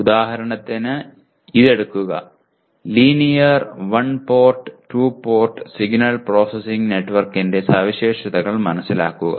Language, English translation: Malayalam, For example take this, understand the characteristics of linear one port and two port signal processing network